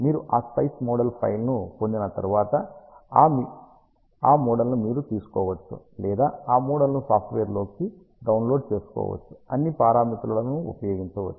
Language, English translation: Telugu, Once you get that SPICE model file you can take that model or import that model into the software can put in all the parameters